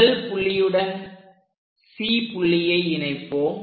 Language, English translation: Tamil, So, let us connect C point all the way to first point